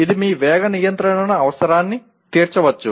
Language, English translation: Telugu, It may meet your speed control requirement